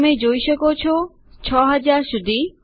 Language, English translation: Gujarati, There you go up to 6000